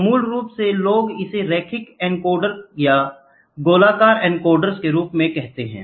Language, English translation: Hindi, So, basically people call it as linear encoders and circular encoders, ok